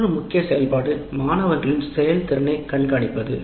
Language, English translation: Tamil, And another major activity is to keep track of students' performance